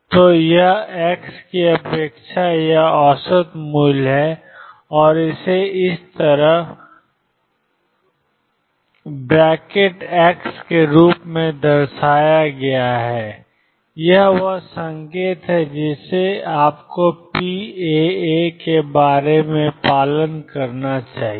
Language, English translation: Hindi, So, this is expectation or average value of x and this is denoted as x like this, this is the notation that you must follow what about p alpha alpha